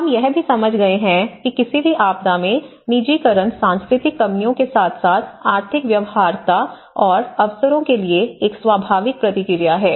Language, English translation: Hindi, But in any disasters, we have also understood that the personalization, the personalization is a natural response to the cultural deficiencies and as well as economic feasibilities and opportunities